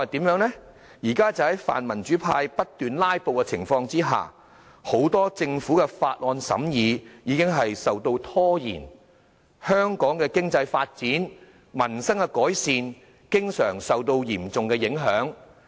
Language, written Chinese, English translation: Cantonese, 現時在民主派不斷"拉布"下，很多政府法案的審議已被拖延，香港的經濟發展及民生改善經常受到嚴重影響。, The incessant filibuster staged by the pro - democracy camp has delayed the scrutiny of many government bills seriously hampering economic development and the improvement of the peoples livelihood in Hong Kong